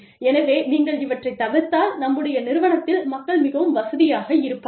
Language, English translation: Tamil, So, if you avoid these things, then people will be more comfortable, in our organization